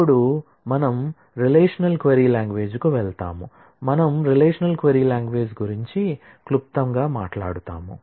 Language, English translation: Telugu, Now, we move on to the relational query language, we briefly talk about the relational query language